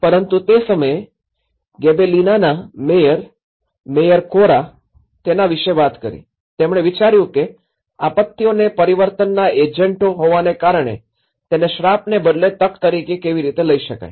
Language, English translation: Gujarati, But then at that time, the mayor of that particular Gibellina, mayor Corra he talked about, he thought about how disasters could be taken as an opportunity rather the curse because disasters are the agents of change